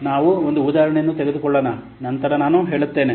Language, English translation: Kannada, Let's take an example and then I will say